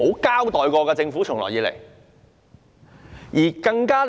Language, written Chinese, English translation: Cantonese, 這點政府從來沒有交代。, The Government has never given an account on that